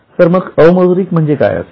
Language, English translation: Marathi, Then what will come as non monetary